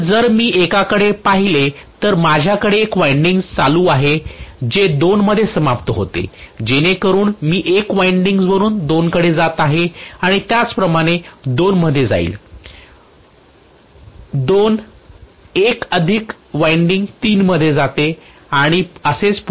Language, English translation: Marathi, So if I look at one, I have one winding going around like this which is ending up in 2 so that is what I am showing from 1 winding goes and goes into 2 similarly from 2,1 more winding goes into 3, and so on and so forth